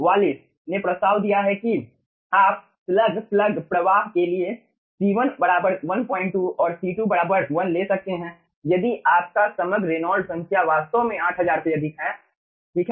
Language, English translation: Hindi, wallis has proposed that ah you can take for slug plug flow, c1 equals to 1 point 2 and c2 equals to 1 if your ah overall reynolds number is in is actually greater than 8000